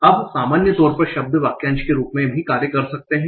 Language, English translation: Hindi, Now in general words can also act as phrases